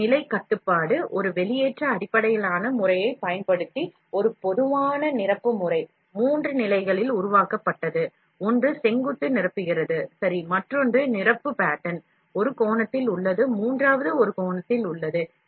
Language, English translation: Tamil, A position control, a typical fill pattern using an extrusion based system, created in three stages; one is filling vertical, ok, the other one fill pattern is at an angle, and the third one is along the a different angle